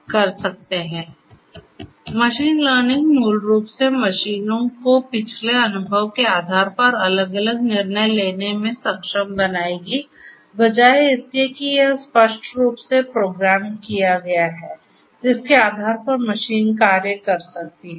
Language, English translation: Hindi, So, machine learning basically will enable the machines to make different decisions based on the past experience rather than having the machine perform the actions based on what it is explicitly programmed to